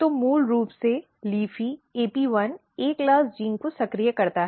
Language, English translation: Hindi, So, basically LEAFY activate AP1, A class gene